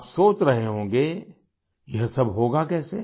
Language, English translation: Hindi, You must be thinking how all this will be possible